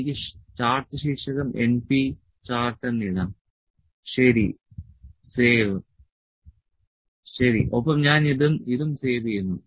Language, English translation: Malayalam, This number defective this is the np chart I can put the chart title as np chart, ok, save, ok, also I will save this thing